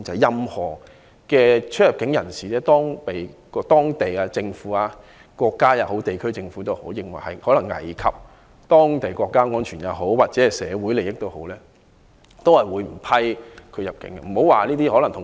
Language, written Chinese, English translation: Cantonese, 任何人士如果被某國家或地區政府認為可能危及國家安全或社會利益，都不會被批入境。, If any person is considered by the government of a country or a region to jeopardize national security or social interest he will be denied entry